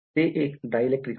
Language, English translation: Marathi, It is a dielectric